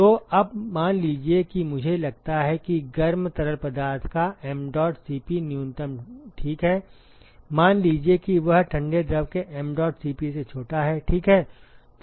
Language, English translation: Hindi, Now, suppose if I say that mdot Cp of the cold fluid ok, if it is lesser than mdot Cp of the hot fluid, ok